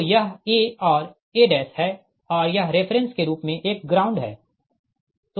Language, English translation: Hindi, so this is a and a dash and this is a ground as reference